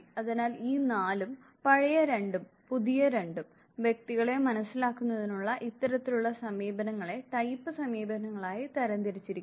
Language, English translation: Malayalam, So, this 4, two old and two new you would find at this type of approaches to understanding individuals are classified as type approaches